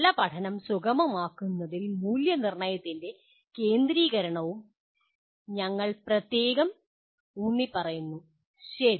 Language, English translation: Malayalam, And we also particularly emphasize the centrality of assessment in facilitating good learning, okay